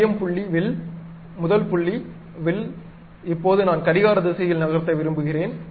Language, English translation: Tamil, Center point arc, first point arc, now I want to move clockwise direction